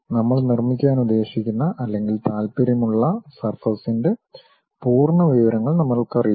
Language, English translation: Malayalam, We do not know complete information about surface which we are intended or interested to construct